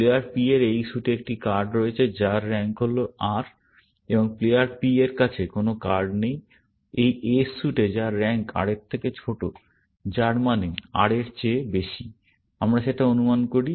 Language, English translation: Bengali, Player P has a card in this suit s whose, rank is R, and there is no card held by player P, in this suit s whose, rank is smaller than R, which means higher than R; we assume that